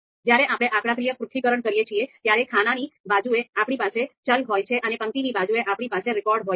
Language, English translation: Gujarati, When we do a statistical analysis, typically the the data that we have is, on the column side we have variables and on the row side we have records